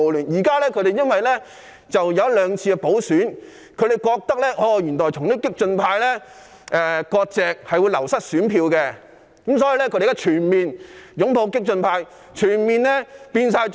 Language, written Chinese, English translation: Cantonese, 可是，經過一兩次補選後，他們發覺與激進派割席會令選票流失，所以現在便全面擁抱激進派，全面變成"縱暴派"。, However after one or two by - elections they found that severing ties with the radical camp would lead to a loss of votes so they have now fully embraced the radical camp and connive at violence